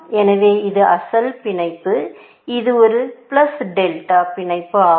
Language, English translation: Tamil, So this was the original bound, and this was a bound plus delta